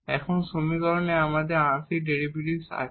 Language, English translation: Bengali, So, here we have the notion of the partial derivates in the equation